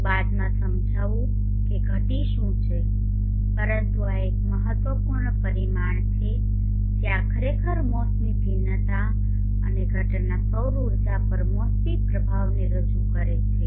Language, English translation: Gujarati, I will explain later what declination is but this is an important parameter this actually represents the seasonal variations and the seasonal effects on the incident solar energy